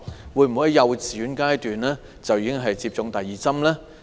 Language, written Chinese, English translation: Cantonese, 會否在幼稚園階段為幼童接種第二劑疫苗？, Will the Government administer the second dose of vaccine to children when they are at kindergartens?